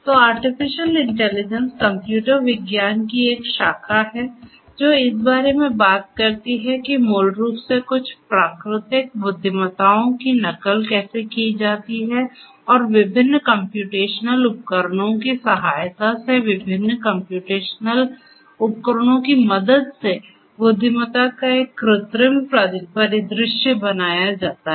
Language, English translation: Hindi, So, artificial intelligence is a branch of computer science which talks about how to basically imitate some of the natural intelligence that is there and create an artificial scenario or artificial scenario of intelligence with the help of different computational devices with the help of different software and so on